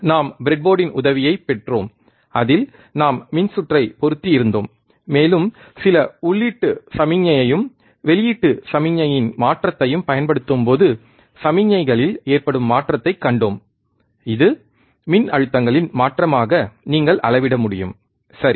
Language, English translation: Tamil, We took the help of breadboard, on which we have mounted the circuit, and we have seen the change in the signals, when we apply some input signal and a change in output signal which you can measure as change in voltages, right